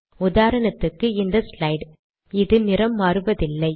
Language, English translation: Tamil, For example, in this slide, it does not alert with a different color